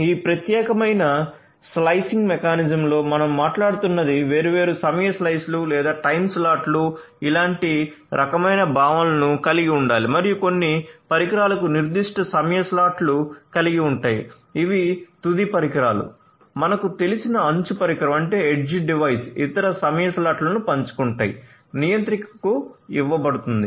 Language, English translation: Telugu, And in this particular slicing mechanism what we are talking about is to have different time slices or time slots similar kind of concepts like that and have certain devices have certain time slots the end devices edge device you know share certain time slots the other time slots will be given to the controller